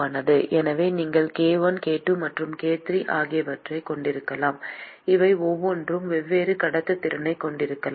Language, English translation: Tamil, So, you can have k1, k2 and k3 each of these could have different conductivities